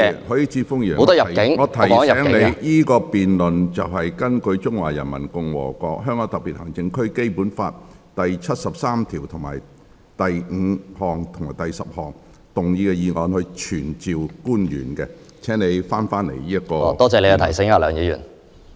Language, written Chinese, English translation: Cantonese, 許智峯議員，我提醒你，現在是就根據《中華人民共和國香港特別行政區基本法》第七十三條第五項及第十項動議傳召官員的議案進行辯論，請你返回議題。, Mr HUI Chi - fung I remind you that we are now debating on the motion moved under Article 735 and 10 of the Basic Law of the Hong Kong Special Administrative Region of the Peoples Republic of China to summon public officers . Please come back to the subject of this debate